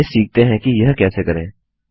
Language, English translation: Hindi, So let us learn how to do this